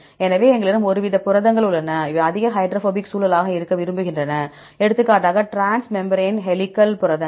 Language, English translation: Tamil, So, we have the some sort of proteins which are highly prefer to be highly hydrophobic environment for example, transmembrane helical proteins